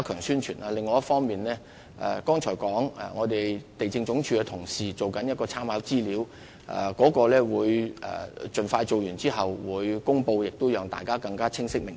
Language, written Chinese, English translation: Cantonese, 此外，我剛才亦提到，地政總署的同事正在編製參考資料，我們會盡快完成並作出公布，讓市民更清晰明白。, Furthermore as I have just said colleagues of the LandsD are compiling the relevant information . We will expeditiously complete the work and publicize the information with a view to enhancing the understanding of members of the public